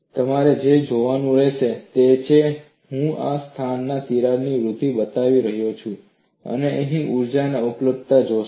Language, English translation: Gujarati, So, what you will have to look at is, I would be showing the crack growth in this place and you would be seeing the energy availability here